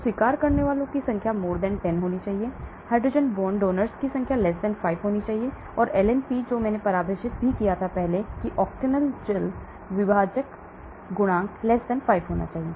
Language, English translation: Hindi, So number of acceptors should be <10, number of hydrogen bond donors should be <5 and log P which I defined that is the octanol water partition coefficient should be <5